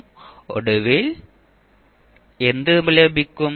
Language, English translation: Malayalam, So finally what you will get